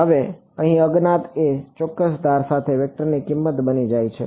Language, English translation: Gujarati, Now the unknown over here becomes the value of a vector along a certain edge ok